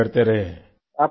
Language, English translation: Hindi, Keep on fighting